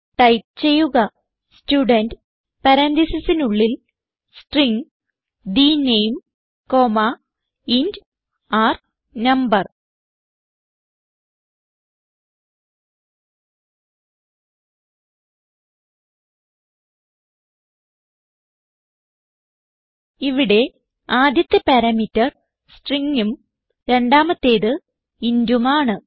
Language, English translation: Malayalam, So type Student within parentheses String the name comma int r no So over here first parameter is string and the second parameter is int Then Within curly bracket, roll number is equal to r no